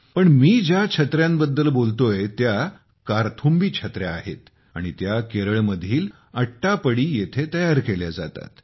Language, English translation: Marathi, But the umbrella I am talking about is ‘Karthumbhi Umbrella’ and it is crafted in Attappady, Kerala